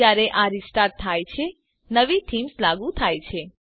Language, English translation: Gujarati, When it restarts, the new themes is applied